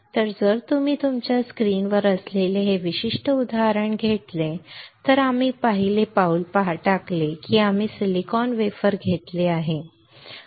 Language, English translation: Marathi, So, if you take this particular example which is on your screen the first step that we performed is we took a silicon wafer right